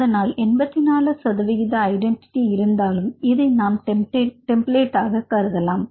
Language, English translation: Tamil, So, with 84 percent sequence identity and you can treat this as your template